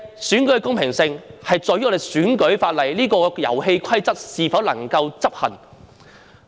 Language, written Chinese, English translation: Cantonese, 選舉的公平性在於我們的選舉法例——這個遊戲規則——能否執行。, The fairness of an election depends on whether our electoral legislation―the rules of this game―can be enforced